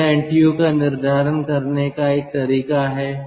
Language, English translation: Hindi, so this is one way of determining ntu